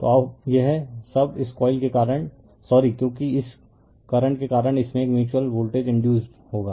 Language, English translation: Hindi, So, now, this one now because of this coil the sorry because of this current a mutual voltage will be induce in this